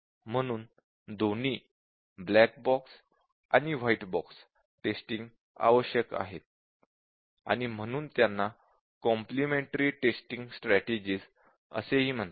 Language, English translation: Marathi, So both black box and white box testing are necessary, and this are called as complimentary testing strategies